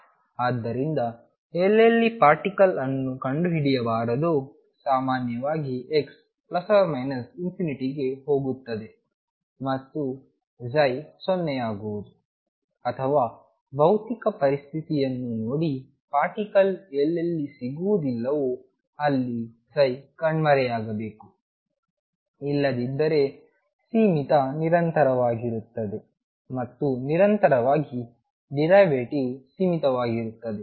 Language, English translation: Kannada, So, wherever particle is not to be found and; that means, generally x tend into plus or minus infinity will demanded psi be 0 or looking at the physical situation psi should vanish wherever the particle is not to be found at all, otherwise is finite continuous and is derivative finite in continuous